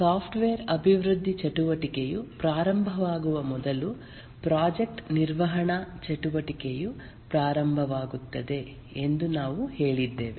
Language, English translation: Kannada, And we had said that the project management activities start much before the software development activity start